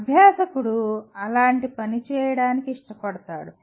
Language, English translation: Telugu, The learner likes to work on such a thing